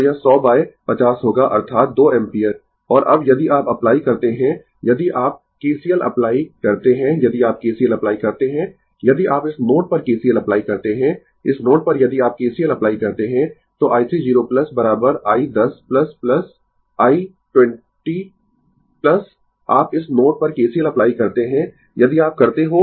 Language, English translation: Hindi, So, it will be your 100 by 50; that is your 2 ampere, and now, if you apply if you apply your KCL, if you apply KCL at this node, at this node if you apply KCL, so, i 3 0 plus is equal to i 1 0 plus plus i 2 0 plus you apply KCL at this node if you do